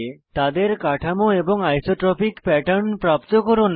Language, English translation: Bengali, Obtain their Composition and Isotropic pattern